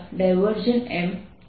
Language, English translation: Gujarati, that's the m